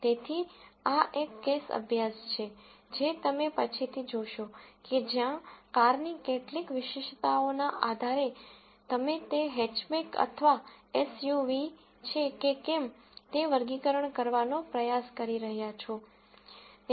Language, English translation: Gujarati, So, this is a case study which you will see later where, based on certain attributes of a car, you are trying to classify whether it is a Hatchback or an SUV